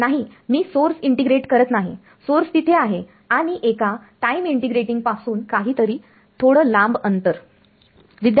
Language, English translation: Marathi, No I am not integrating over the source the source is there and some small distance away from a time integrating